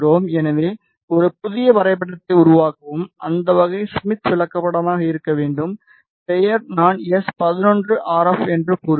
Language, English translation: Tamil, So, create a new graph, the type should be smith chart, name I will say s 11 RF